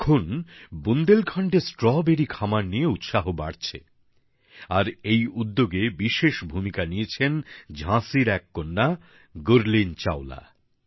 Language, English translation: Bengali, Now, there is growing enthusiasm about the cultivation of Strawberry in Bundelkhand, and one of Jhansi's daughters Gurleen Chawla has played a huge role in it